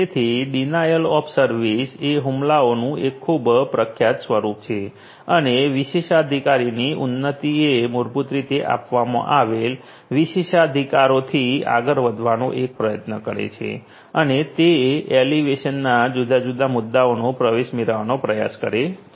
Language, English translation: Gujarati, So, denial of service is a very popular form of attack and elevation of privilege is basically one tries to go beyond the privileges that have been given and try to get access to those different points of elevation